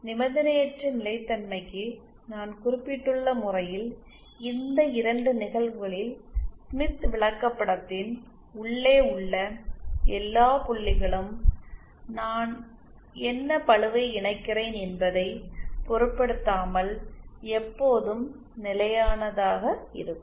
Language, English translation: Tamil, These two cases that I just mentioned at the case for unconditional stability that is all points inside the smith chart will always be stable irrespective of what my what load I connect